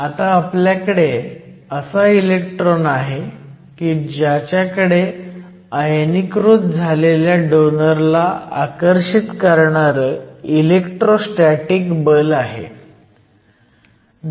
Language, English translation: Marathi, But now you have the electron having an electrostatic force of attraction with the ionize donor